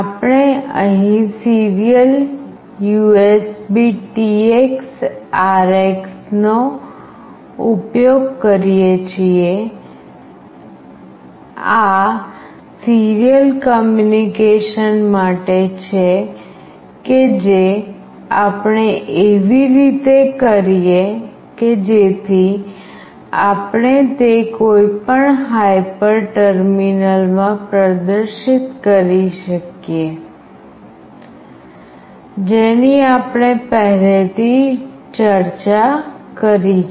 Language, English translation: Gujarati, We use here serial USBTX RX, this is for serial communication that we do such that we can display it in the any of the hyper terminal, which we have already discussed